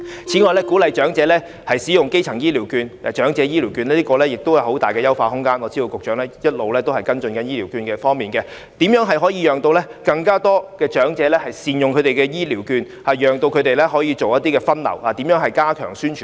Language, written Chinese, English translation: Cantonese, 此外，鼓勵長者使用長者醫療券亦有很大的優化空間，我知道局長一直在跟進醫療券的問題，如何能夠讓更多長者善用醫療券，以便作出分流減少入院，如何加強宣傳呢？, I know that the Secretary has been following up the issue of healthcare vouchers . If the Government can enable the elderly persons to make good use of the healthcare vouchers this will help to triage cases and reduce hospitalization . But how will the Government step up promotion in this regard?